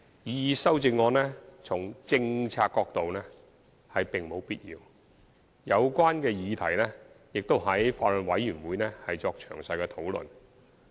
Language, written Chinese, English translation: Cantonese, 擬議修正案從政策角度而言並無必要，有關議題亦已於法案委員會作詳細討論。, From a policy perspective the proposed amendment is indeed not necessary; and the question concerned has been discussed in detail at the Bills Committee